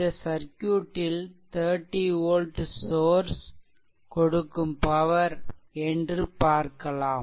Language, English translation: Tamil, So, what is the power supplied by the 30 volt source right